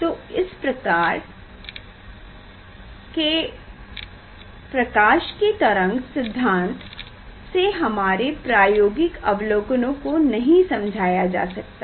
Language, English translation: Hindi, that was the, so wave concept of light could not explain this observe this experimental observation